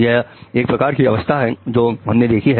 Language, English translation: Hindi, So this is the type of state which we have seen